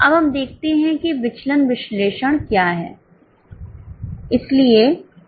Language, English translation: Hindi, Now let us look into what is variance analysis